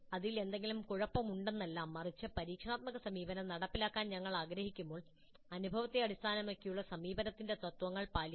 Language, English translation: Malayalam, Not that there is anything wrong with it but when we wish to implement experiential approach we must follow the principles of experience based approach